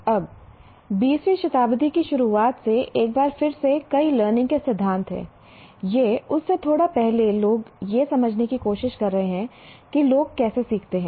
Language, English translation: Hindi, Now there are several learning theories once again right from the beginning of the 20th century or even a little prior to that people have been trying to understand how do people learn